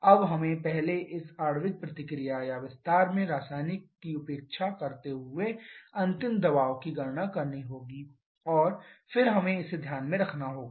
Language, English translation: Hindi, Now we have to calculate the final pressure neglecting the chemical this molecular reaction or expansion first and then we have to get this into account